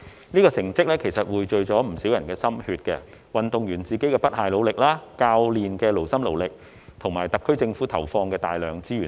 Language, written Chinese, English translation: Cantonese, 這成績其實匯聚了不少人的心血：運動員自身的不懈努力、教練的勞心勞力，以及特區政府投放的大量資源等。, Such results are actually the convergence of many peoples efforts including unremitting efforts of the athletes taxing dedication of the coaches and massive resources allocated by the SAR Government